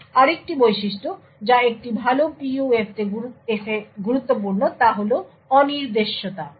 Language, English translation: Bengali, Another feature which is important in a good PUF is the unpredictability